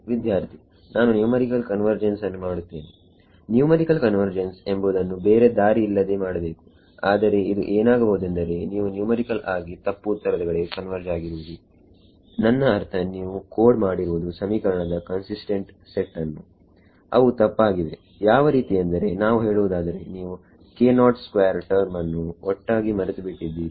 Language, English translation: Kannada, Numerical convergence is something that you have to do any way, but it may be that you have converged numerically to the wrong answer; I mean you have coded a consistent set of equations which are wrong like let us say you forgot the k naught squared term altogether